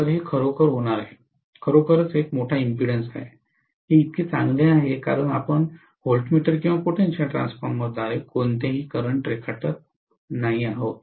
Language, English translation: Marathi, So it is going to be really, really a large impedance, it is as good as you are not drawing any current through the voltmeter or through the potential transformer